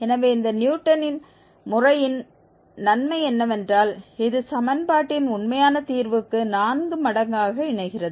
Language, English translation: Tamil, So, this is the advantage of this Newton's method that it converges quadratically to the actual root of equation f x equal to 0